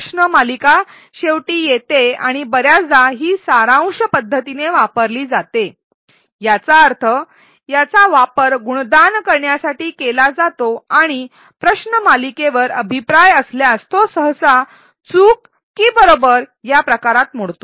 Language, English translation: Marathi, The quiz comes at the end and often it is used in a summative manner; that means, it is used for grading and the feedback on the quiz if any, is usually of the type correct or wrong